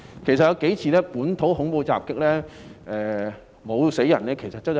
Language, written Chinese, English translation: Cantonese, 其實，最近數次本土恐怖襲擊中沒有人死亡，是走運。, In fact it was luck that no death had arisen from the few recent local terrorist attacks